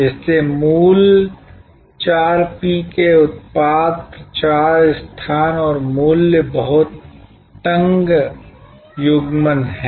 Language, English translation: Hindi, So, the original four P's which are Product, Promotion, Place and Price had a very tight coupling